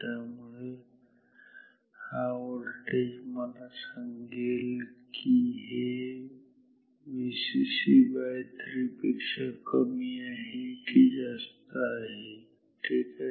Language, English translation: Marathi, So, this voltage will tell me if this is higher or lower than this V c c V c c by 3 ok